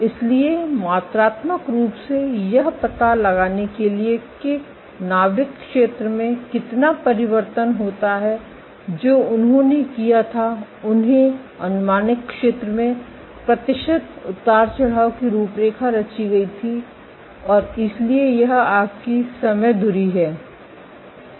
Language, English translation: Hindi, So, to quantitatively detect how much does the nuclear area change what they did was they plotted the percentage fluctuation in the area the projected area and so this is your time axis